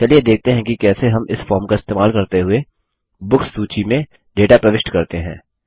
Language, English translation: Hindi, Let us see how we can enter data into the Books table, using this form